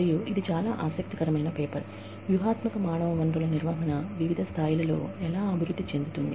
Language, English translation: Telugu, And, it is a very interesting paper, on how, strategic human resource management develops, over different levels